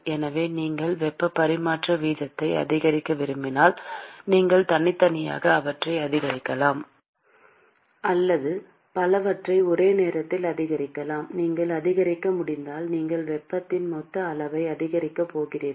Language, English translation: Tamil, So, if you want to increase heat transfer rate, you can increase either of them individually or you can increase multiple of them many of them simultaneously if you are able to increase then you are going to increase the total amount of heat that is transported